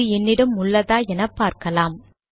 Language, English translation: Tamil, Okay let me see if I have this here